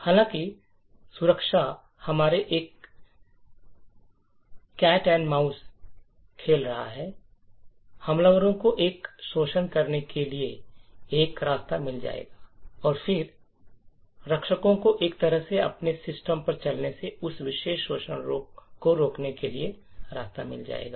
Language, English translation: Hindi, However, security has always been a cat and mouse game the attackers would find a way to create an exploit and then the defenders would then find a way to prevent that particular exploit from running on their system